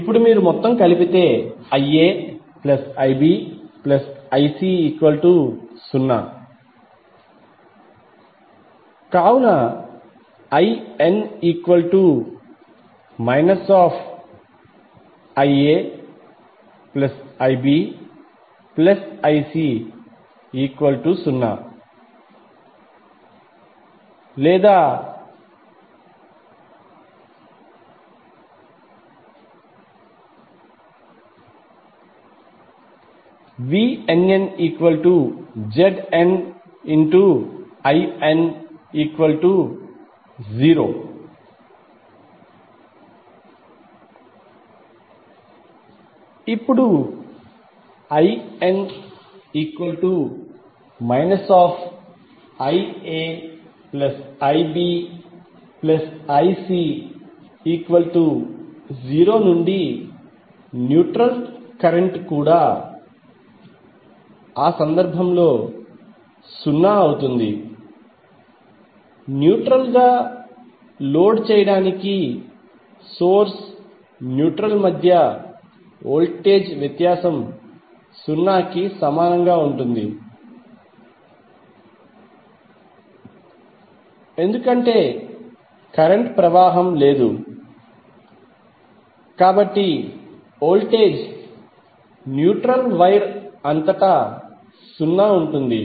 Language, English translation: Telugu, Now since IA plus IB plus IC is equal to zero, the neutral current will also be zero in that case the voltage difference between source neutral to load neutral will be equal to zero because there is no current flowing, so therefore the voltage across the neutral wire will be zero